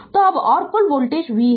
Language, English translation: Hindi, So, now, and total voltage there is v